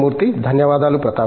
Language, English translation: Telugu, Thank you, Prathap